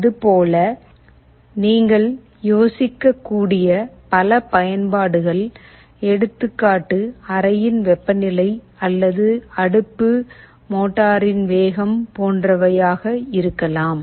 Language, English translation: Tamil, There can be many applications you can think of; temperature of the room or an oven, speed of a motor, etc